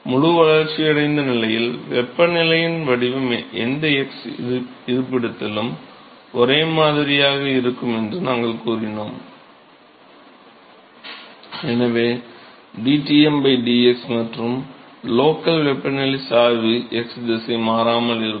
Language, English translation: Tamil, Because we said that the temperature profile in the fully developed regime is similar at any x location and therefore, dTm by dx and therefore, the local temperature gradient is x direction remains the constant